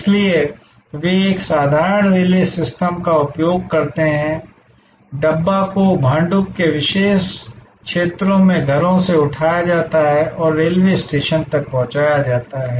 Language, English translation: Hindi, So, they use a simple relay system, the Dabbas are picked up from homes in a particular areas of Bhandup and delivered to the railway station